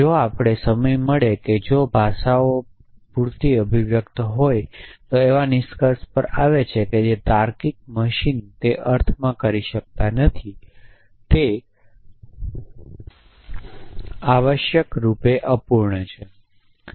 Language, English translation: Gujarati, If we get time is that if languages are expressive enough then there are conclusions which the logical machinery cannot make in that sense it is incomplete essentially